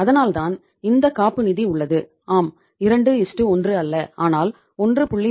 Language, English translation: Tamil, So that is why this cushion is there that yes not 2:1 but 1